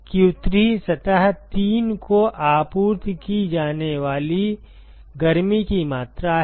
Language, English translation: Hindi, q3 is the amount of heat that is supplied to surface three